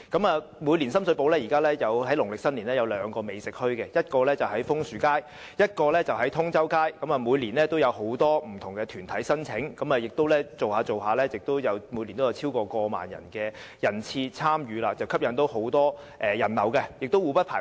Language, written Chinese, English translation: Cantonese, 現時，深水埗每年也會於農曆新年舉辦兩個美食墟市，一個在楓樹街，另一個則在通州街，每年也有很多不同團體申請，漸漸下來，每年也會有超過1萬人次參與，吸引很多人流，而且兩者互不排斥。, At present two cooked food bazaars are held each year in Sham Shui Po during the Lunar New Year . One is held in Maple Street and the other in Tung Chau Street . Many organizations will apply to set up stalls each year and after these bazaars have been held for some years there are now over 10 000 visitor arrivals each year